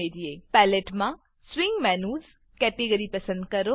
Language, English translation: Gujarati, In the Palette, open the Swing Menus category